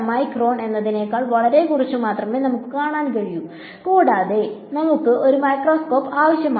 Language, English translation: Malayalam, We cannot see much less than I mean micron also we need a microscope right